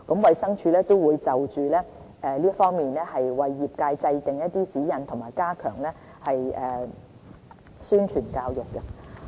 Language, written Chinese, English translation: Cantonese, 衞生署亦會就此為業界制訂指引和加強宣傳教育。, DH will also lay down guidelines for the trade and enhance publicity and education in this regard